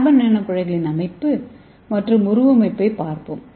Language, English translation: Tamil, Let us see the structure and morphology of carbon nano tubes